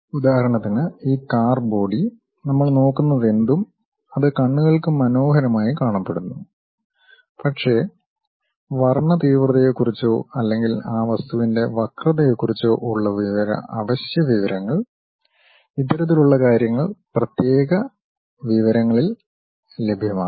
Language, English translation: Malayalam, For example: this car body whatever these we are looking at, it looks nice to eyes, but the essential information about color contrast or perhaps the curvature of that object; these kind of things are available at discrete information